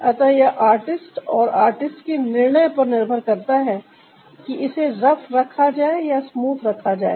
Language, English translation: Hindi, so it's upto the artist and the artist decision whether to keep it rough or to keep it ah, smooth, ah